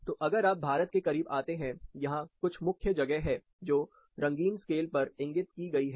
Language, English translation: Hindi, So, if you come close to India, there are specific regions, which are indicated in color scale